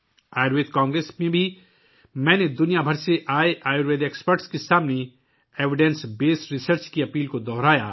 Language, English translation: Urdu, Even in the Ayurveda Congress, I reiterated the point for evidence based research to the Ayurveda experts gathered from all over the world